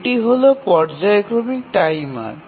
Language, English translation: Bengali, This is a periodic timer